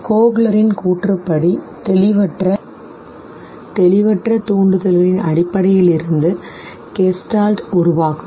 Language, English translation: Tamil, According to Kohler, Gestalt would be basically formed from ambiguous stimuli